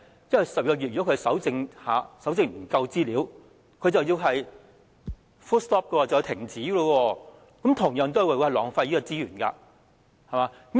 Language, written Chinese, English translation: Cantonese, 因為如果不能在12個月內蒐集足夠資料便須停止，這同樣也會浪費資源。, Because if everything must stop when sufficient information cannot be collected within 12 months this would also result in a waste of resources